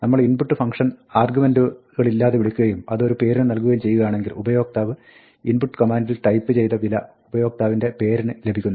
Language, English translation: Malayalam, If we invoke the function input with no arguments and assign it to a name, then, the name user data will get the value that is typed in by the user at the input command